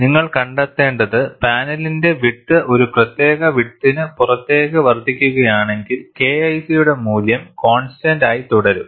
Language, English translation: Malayalam, And what you find is, if the width of the panel is increased, beyond a particular width, the value of K 1 C remains constant